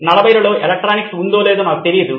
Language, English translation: Telugu, I do not know if electronics is around in the 40’s